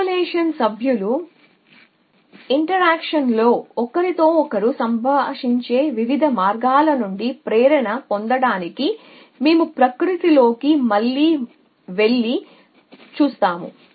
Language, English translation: Telugu, We look at nature again to get inspiration from different way that the members of the population interact with each other